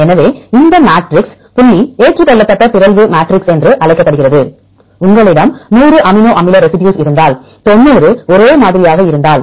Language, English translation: Tamil, So, this matrix is called the point accepted mutation matrix for example, if you have 100 amino acid residues and 90 are same